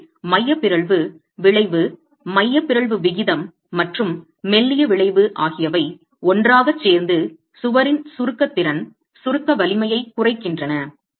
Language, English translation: Tamil, So the eccentricity effect, eccentricity ratio, and and the slenderness effect together comes to reduce the force displacement, the compression capacity, compression strength of the wall itself